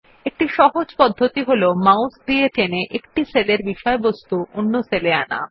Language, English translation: Bengali, The most basic ability is to drag and drop the contents of one cell to another with a mouse